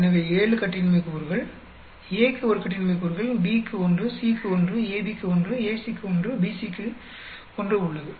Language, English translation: Tamil, So, 7 degrees of freedom; A has 1 degree of freedom, B has 1, C has 1, AB has 1, AC has 1, BC has 1